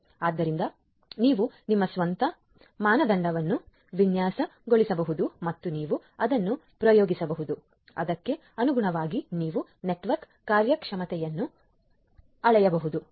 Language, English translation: Kannada, So, you can design your own benchmark and you can experiment it so and accordingly you can measure the network performance